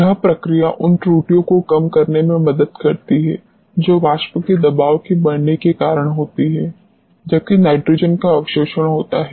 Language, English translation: Hindi, This process helps in minimizing the errors which are incurred due to rise of vapour pressure while absorption of nitrogen takes place